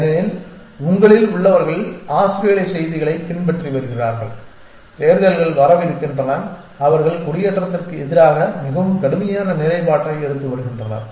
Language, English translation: Tamil, For, so those of you have been following Australian news and elections are coming up they have been taking a very strict stand against emigration